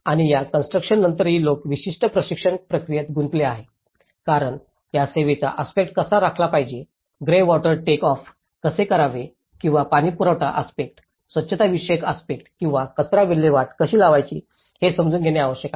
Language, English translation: Marathi, And even, after this construction, people have been engaged in certain training process because they need to get into understanding how to maintain these service aspect, how to maintain the greywater take off or the water supply aspect, the sanitation aspect or the waste disposal